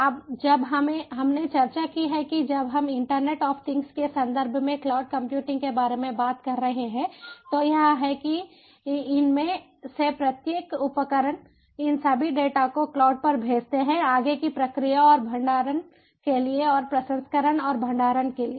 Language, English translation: Hindi, now what we have discussed when we were talking about cloud computing in the context of internet of things is that each of these devices, they sent all these data to cloud for further processing and storage, for further processing and storage